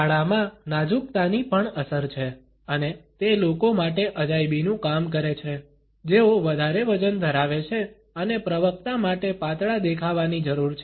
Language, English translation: Gujarati, Black also has slimming effects and it works wonders for people who are overweight and need to look slimmer for a spoke